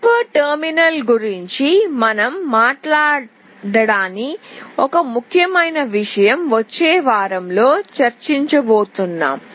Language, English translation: Telugu, One important thing we have not talked about hyper terminal that we will be discussing in the next week